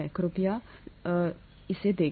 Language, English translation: Hindi, Please do that